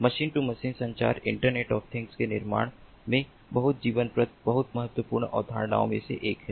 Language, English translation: Hindi, machine to machine communication is one of the very vital, very important concepts in building internet of things